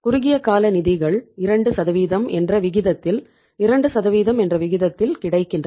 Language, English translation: Tamil, Short term funds are at the rate of 2% available at the rate of 2%